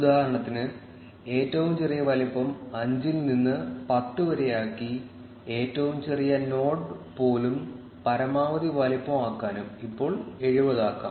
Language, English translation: Malayalam, For instance, let us change the minimum size from 5 to 10 to make the even smallest node bigger and change the maximum size to let us say 70